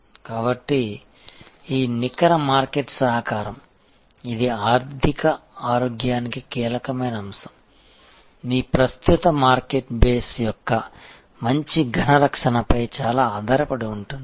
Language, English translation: Telugu, So, this net market contribution, which is a key element for the financial health again is very, very dependent on good solid protection of your existing market base